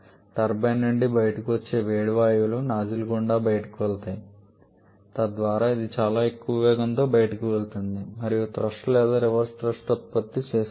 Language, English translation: Telugu, That is the hot gases that are coming out of the turbine that is allowed to pass through the nozzle, so that the it goes out at very high velocity and the thrust or the reverse thrust that is produces